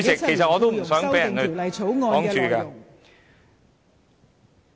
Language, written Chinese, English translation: Cantonese, 其實我也不想被人阻礙我的發言。, I do not want my speech to be interrupted either